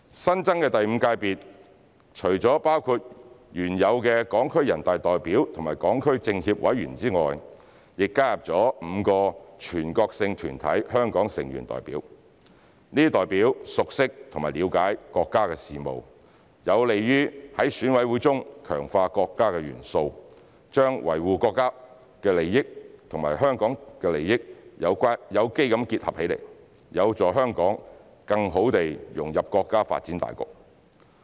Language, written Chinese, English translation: Cantonese, 新增的第五界別除了包括原有的港區全國人大代表和港區全國政協委員外，亦加入了5個全國性團體香港成員代表，這些代表熟悉和了解國家事務，有利於在選委會中強化國家元素，把維護國家利益和維護香港利益有機結合起來，有助香港更好地融入國家發展大局。, The newly added Fifth Sector comprises not only HKSAR deputies to NPC and HKSAR members of the National Committee of the Chinese Peoples Political Consultative Conference who are already included in the existing system but also representatives of Hong Kong members of five national organizations . As these representatives are familiar with and understand national affairs they will help to strengthen the national elements in EC organically combine the objectives of safeguarding national interests and protecting Hong Kongs interests and assist Hong Kong to better integrate into the overall national development